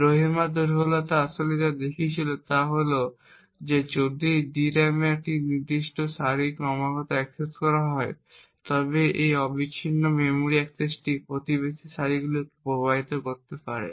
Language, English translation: Bengali, What the Rowhammer vulnerability actually showed was that if a particular row in the DRAM was continuously accessed this continuous memory access could actually influence the neighbouring rows